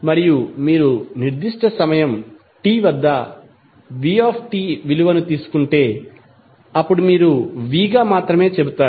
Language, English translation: Telugu, And if you take value minus V t, V at time at particular time t then you will say simply as V